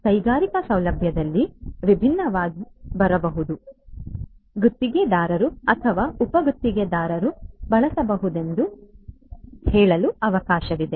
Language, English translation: Kannada, There could be different in an industrial facility, there could be different let us say contractors or subcontractors who could be using